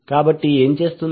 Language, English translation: Telugu, So what will do